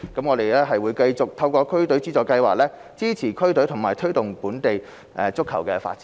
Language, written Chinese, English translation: Cantonese, 我們會繼續透過區隊資助計劃，支持區隊和推動本地足球發展。, We will continue to support district teams and promote local football development through DFFS